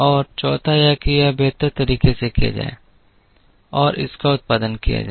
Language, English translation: Hindi, And the fourth is to do upto this optimally and produce this